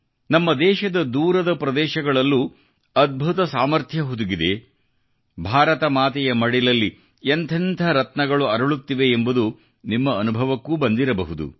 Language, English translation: Kannada, You too must have experienced that even in the remotest corners of our country, there lies vast, unparalleled potential myriad gems are being nurtured, ensconced in the lap of Mother India